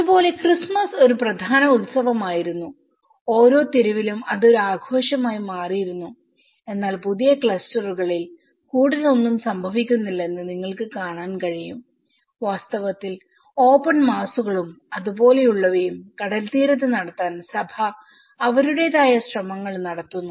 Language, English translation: Malayalam, Like, you can see the Christmas was one of the important festival live in every street it is becoming a celebration and in the new clusters you can see that not much is happening and in fact, the church is also making its efforts how we can conduct the open masses in the sea shore and things like that